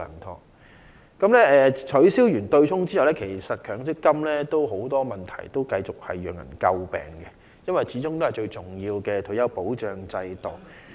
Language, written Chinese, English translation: Cantonese, 在取消強積金的對沖安排後，仍然有很多問題尚待處理，繼續為人詬病，因為強積金始終是最重要的退休保障之一。, After the abolition of the offsetting arrangement under the MPF System many issues still remain outstanding and will continue to come under criticism because after all MPF is one of the most important pillars of retirement protection